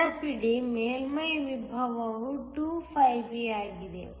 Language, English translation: Kannada, Remember, the surface potential is 2 φB